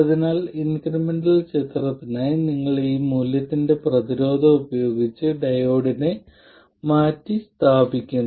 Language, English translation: Malayalam, So, for the incremental picture, you replace the diode by a resistance of this value